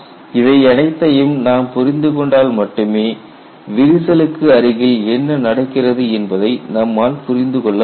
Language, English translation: Tamil, Only if you understand all of these, then you can confidently say we have understood what happens near the vicinity of the crack